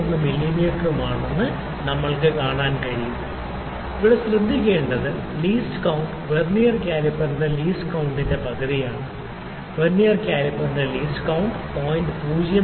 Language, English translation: Malayalam, 01 mm, it is important to note here that the least count is half the least count of the Vernier caliper the least count of Vernier caliper was 0